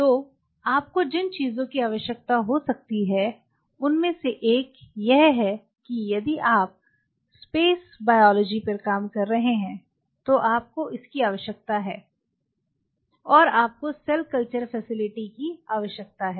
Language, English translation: Hindi, So, one of the things which you may need suppose you needed if you are working on a space biology, and you needed a cell culture facility